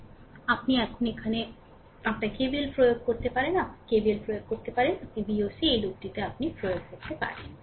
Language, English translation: Bengali, So, here you can here you apply your KVL, you can apply you can apply KVL either your either like this; this is your V oc this loop you can apply